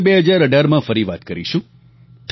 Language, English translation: Gujarati, We shall converse again in 2018